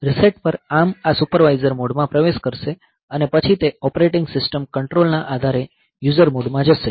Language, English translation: Gujarati, On reset ARM will enter into this supervisor mode and then it will be going to user mode depending upon the operating system control